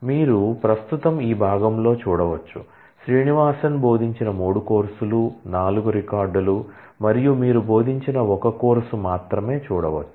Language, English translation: Telugu, So, you can currently see in this part you can see only 4 records the 3 courses taught by Srinivasan